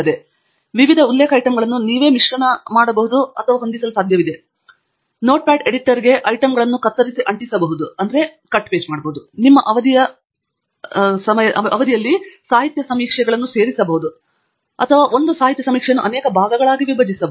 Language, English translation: Kannada, And this format is such that you can mix and match the different reference items yourself; you can cut and paste to the items into a Notepad editor and join your literature survey across the different periods or you can split one literature survey into multiple parts